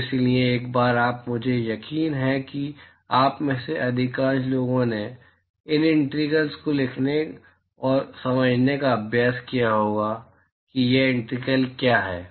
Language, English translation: Hindi, So, so once you, I am sure most of you would have practiced how to write these integrals and understand what these integrals are